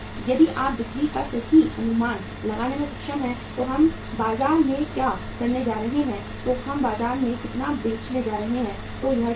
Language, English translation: Hindi, If you are able to forecast the sales properly that what we are going to do in the market how much we are going to sell in the market then it is fine